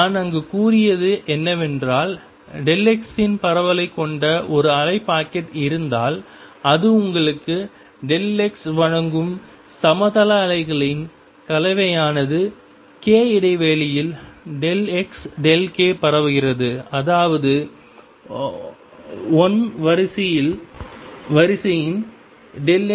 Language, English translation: Tamil, And what I had said there that if I have a wave packet which has a spread of delta x, the corresponding mixture of plane waves that gives you this has delta k spread in k space such that delta x delta k is of the order of one